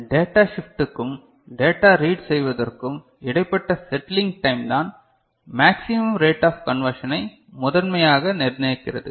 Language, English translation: Tamil, Settling time required between data shift and data read primarily decides maximum rate of conversion ok